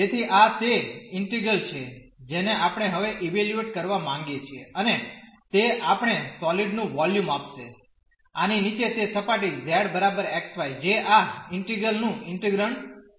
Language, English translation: Gujarati, So, this is the integral we want to now evaluate and that will give us the volume of the solid below this that surface z is equal to x y which is the integrand of this integral